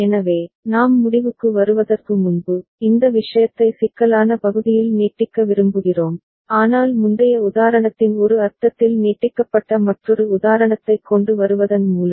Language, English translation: Tamil, So, before we end, we would like to extend this thing on the complexity part, but by bringing another example which is in a sense extension of the previous example